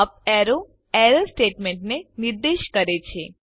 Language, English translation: Gujarati, The up arrow points to the error statement